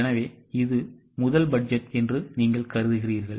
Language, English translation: Tamil, So you assume that this is the first budget